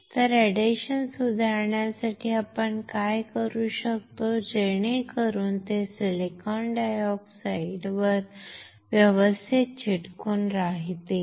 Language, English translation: Marathi, So, what we can do to improve the adhesion so that it sticks properly on silicon dioxide